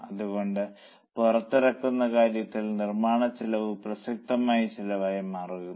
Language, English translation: Malayalam, That's why this launch, this manufacturing cost becomes a relevant cost